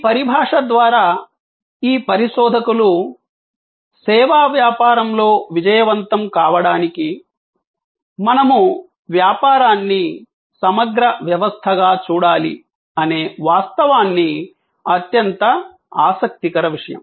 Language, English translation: Telugu, These researchers through this terminology highlighted the fact; that in service business to succeed, we must look at the business as a system, integrated system